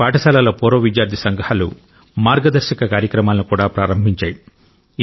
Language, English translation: Telugu, The old student associations of certain schools have started mentorship programmes